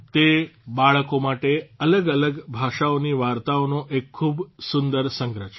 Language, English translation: Gujarati, This is a great collection of stories from different languages meant for children